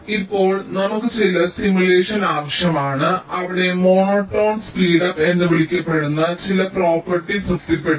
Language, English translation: Malayalam, now we need some simulation where some property called monotone speedup should be satisfied